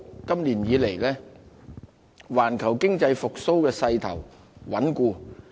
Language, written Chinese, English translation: Cantonese, 今年以來，環球經濟復蘇勢頭穩固。, The global economic recovery has been stable so far this year